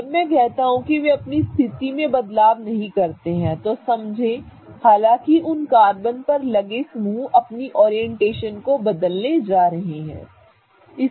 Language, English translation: Hindi, When I say they don't change their position, understand that the groups on those carbons are going to change their orientation though